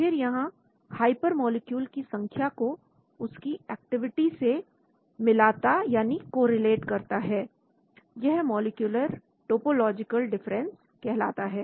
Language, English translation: Hindi, Then, it correlates vertices in the hypermolecule to activity that is called molecular topological difference